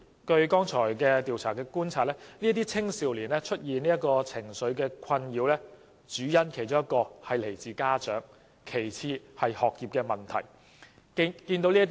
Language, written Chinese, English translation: Cantonese, 剛才的調查觀察所得，這些青少年出現情緒困擾的其中一個主因與家長有關，其次是學業問題。, According to the findings of the survey mentioned just now one of the main reasons for these young people to experience emotional disturbance was linked to parents with academic problems being the next